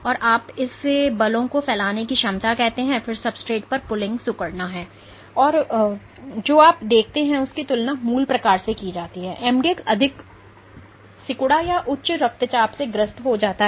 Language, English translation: Hindi, So, you call this the ability to exert forces then pooling on the substrate is contractility and what you see is compared to wild type, mdx becomes more contractile or hypertensive